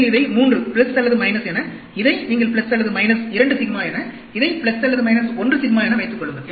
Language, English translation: Tamil, Suppose, you have this as 3, plus or minus 3 sigma, you can have this as plus or minus 2 sigma, this as plus or minus 1 sigma